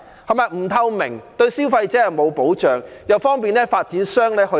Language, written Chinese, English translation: Cantonese, 既不透明，對消費者沒有保障，又方便發展商托價。, This is not transparent nor is there any protection for consumers . Moreover this enables developers to shore up prices easily